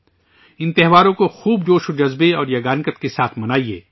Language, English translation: Urdu, Celebrate these festivals with great gaiety and harmony